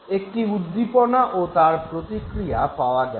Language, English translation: Bengali, So, you have the stimulus and you have the response